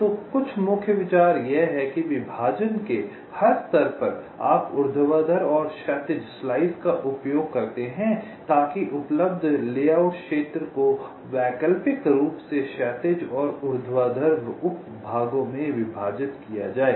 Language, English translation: Hindi, ok, so some of the salient ideas is that at every level of partitioning so you use vertical and horizontal slices so that the available layout area is partitioned into horizontal and vertical subsections alternately